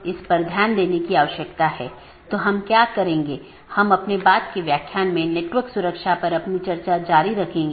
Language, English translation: Hindi, So, we will be continuing our discussion on Computer Networks and Internet Protocol